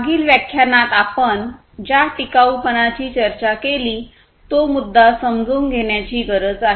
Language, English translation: Marathi, So, we need to understand the sustainability issue that we have discussed in the previous lecture